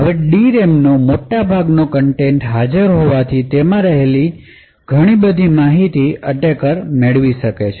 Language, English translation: Gujarati, Since a large portion of the D RAM content is still available a lot of information present in the D RAM can be retrieved by the attacker